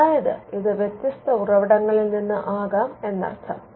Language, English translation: Malayalam, So, it could come from different sources